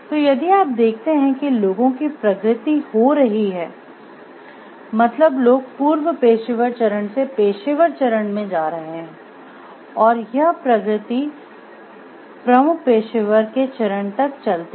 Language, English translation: Hindi, So, this is if you see like there is a progression of people, there is a progression of people moving from the pre professional stage to the professional stage to moving to the stage of principal the professional